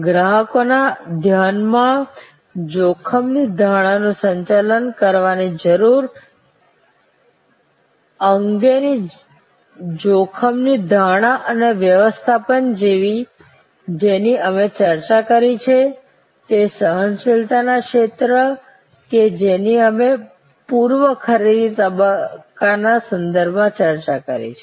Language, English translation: Gujarati, The risk perception and management of the need of managing the risk perception in customers mind that we discussed, the zone of the tolerance that we discussed with respect to the pre purchase stage